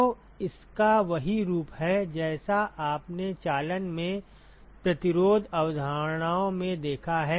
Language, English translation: Hindi, So, it has the same form as what you have seen in resistance concepts in conduction right